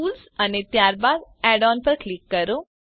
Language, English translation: Gujarati, Click on Tools and then on Add ons